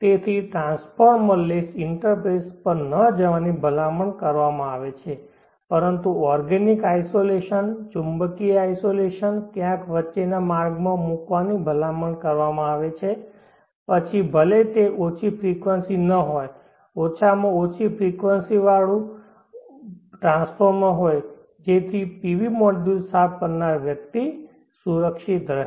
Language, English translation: Gujarati, Therefore, it is recommended not to go in for a transformer less interface, but to put the organic isolation, magnetic isolation somewhere in the path in between even if it is not a low frequency at least a high frequency transformer so that the person cleaning the PV module is protected